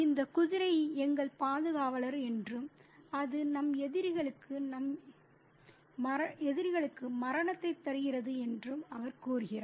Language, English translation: Tamil, And he says that this horse is our guardian and it gives death to our adversaries to our enemies